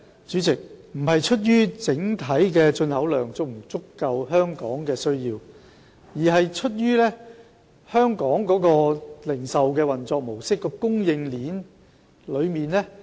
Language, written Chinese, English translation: Cantonese, 主席，問題並不在於整體進口量能否滿足香港市民的需要，而在於香港的零售運作模式和供應鏈。, President the problem is not whether the overall volume of import can meet the demand of Hong Kong people but the operation mode of the retail business and the supply chain in Hong Kong